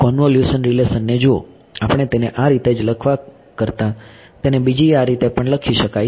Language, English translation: Gujarati, Look at the convolution relation, rather we are just writing it like this right we have been writing it like this